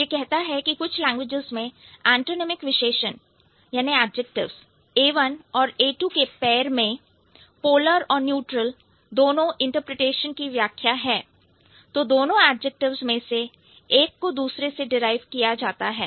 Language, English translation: Hindi, It says in some languages in pairs of antonymic adjectives A1 and A2, if A1 has both a polar and neutral interpretation, then if either of the two adjectives is derived from the other, A1 is the base of A2